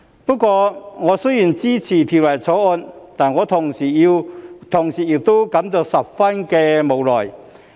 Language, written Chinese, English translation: Cantonese, 不過，我雖然支持《條例草案》，但同時亦感到十分無奈。, Nevertheless although I support the Bill I also feel so helpless at the same time